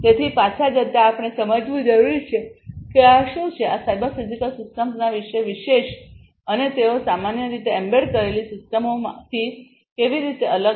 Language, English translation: Gujarati, So, going back so, we need to understand that what is so, special about these cyber physical systems and how they differ from the embedded systems in general, all right